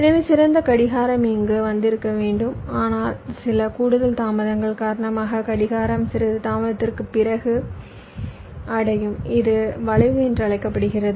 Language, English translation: Tamil, so the ideal clock should have come here, but because of some additional delays, the clock is reaching after some delay